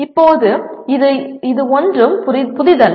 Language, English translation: Tamil, Now this is not anything new